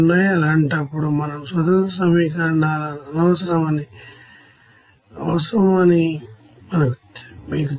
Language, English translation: Telugu, In that case you know that more independent equations are needed